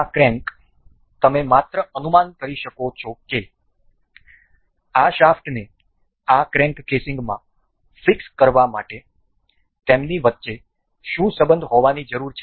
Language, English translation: Gujarati, This crank uh we you can just guess what relation does it need to be to to for this shaft to be fixed into this crank casing